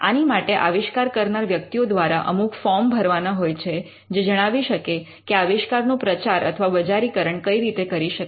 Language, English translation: Gujarati, Now there are specific forms that has to be filled by the inventors which would tell how to market the invention